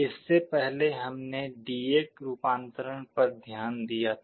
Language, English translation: Hindi, Earlier we had looked at D/A conversion